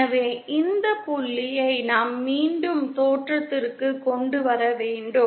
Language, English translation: Tamil, So we have to again bring this point to the origin